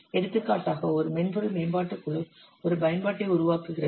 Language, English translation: Tamil, For example, a software development team is developing an application